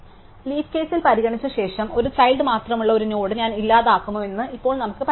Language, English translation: Malayalam, So, having consider into the leaf case, now let us consider the case if I will delete a node with a only one child